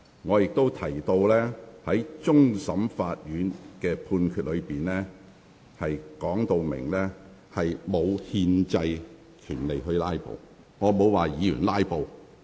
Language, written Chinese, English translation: Cantonese, 我亦指出，終審法院的判決已述明議員並無憲制權利"拉布"。, I also pointed out that CFA made it very clear in its judgment that Members did not have the constitutional right to filibuster